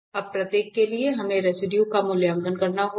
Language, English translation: Hindi, Now, for each we have to evaluate the residue